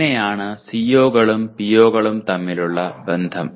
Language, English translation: Malayalam, So that is the relationship between COs and POs